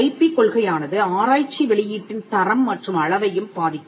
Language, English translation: Tamil, Now, the IP policy can also influence the quality and quantity of research output